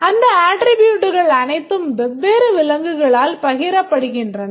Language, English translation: Tamil, And those characteristics are all shared by the different animals